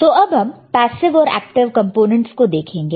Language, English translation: Hindi, And I also shown you the passive and active components